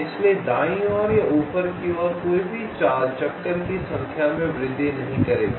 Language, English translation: Hindi, so any movement towards right or towards top will not increase the detour number